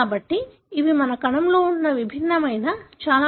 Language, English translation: Telugu, So these are distinct, very compact structures that are present in our cell